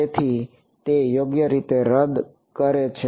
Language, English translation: Gujarati, So, it cancels off right